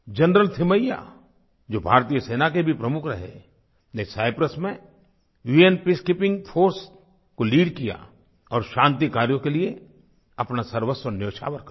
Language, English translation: Hindi, General Thimaiyya, who had been India's army chief, lead the UN Peacekeeping force in Cyprus and sacrificed everything for those peace efforts